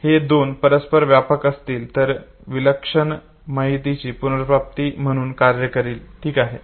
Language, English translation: Marathi, If these two overlaps okay, it will work as a fantastic retrieval cue okay